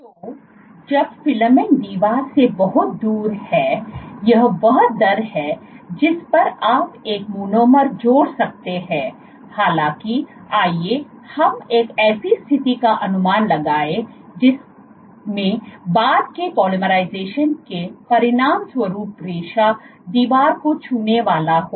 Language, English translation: Hindi, So, when the filament is far away from the wall this is the rate at which you can add a monomer; however, let us assume a situation in which after as a consequence of subsequent polymerizations the filament is about to touch the wall